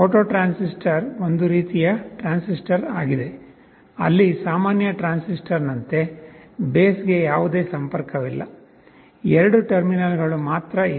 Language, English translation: Kannada, A photo transistor is a kind of a transistor, where there is no base connection like in a normal transistor, there are two terminals only